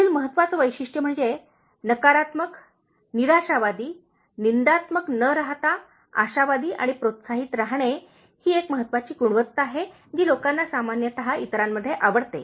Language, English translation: Marathi, The next important trait is, instead of being negative, pessimistic, cynical, being optimistic and encouraging is a very important quality that people generally like in others